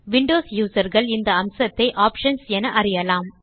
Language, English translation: Tamil, For Windows users, this feature is called Options